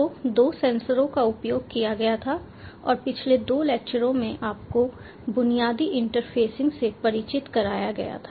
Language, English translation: Hindi, so two sensors were used and the basic interfacing was introduced to you in the previous two lectures